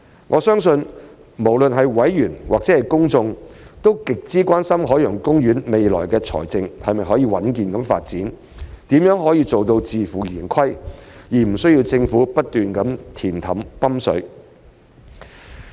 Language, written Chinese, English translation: Cantonese, 我相信，無論是委員或公眾，都極之關心海洋公園未來的財政是否可穩健發展、如何才能做到自負盈虧，而無需政府不斷"填氹"、"泵水"。, I believe that both members and the public are deeply concerned about whether OPs finances can enjoy a robust development in the future and how it can achieve self - financing without the need for government injection to make up the shortfall constantly